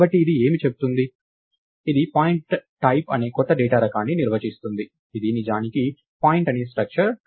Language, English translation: Telugu, So, what this does is it defines a new data type called point type, which is actually a struct of type point